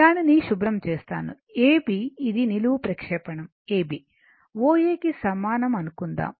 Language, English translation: Telugu, Let me let me clear it, say A B this is a vertical projection A B is equal to your O A